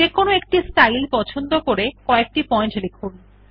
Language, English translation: Bengali, Choose a style and write few points